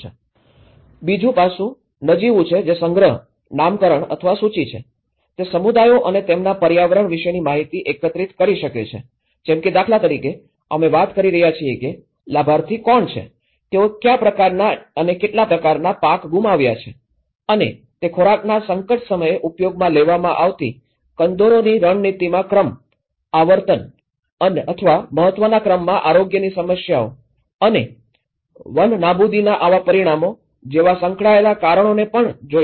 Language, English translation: Gujarati, The second aspect is a nominal which is the collecting, naming or listing, it can collect information about communities and their environment like for instance, we are talking about who are the beneficiaries, who are the what kind of crops they have lost, how much and it can also look at the sequence in the coping strategies used in times of food crisis, health problems in order of frequency or importance and also the associated reasons for it so such consequences of deforestation